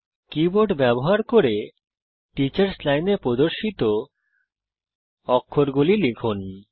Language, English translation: Bengali, Let us type the character displayed in the teachers line using the keyboard